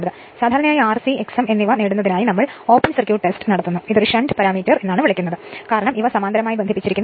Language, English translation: Malayalam, So, generally open circuit test we for to obtain R c and X m that is a sh[unt] we call a shunt parameter because these are connected in parallel